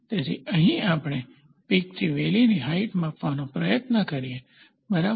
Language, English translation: Gujarati, So, here we try to take peak to valley height, ok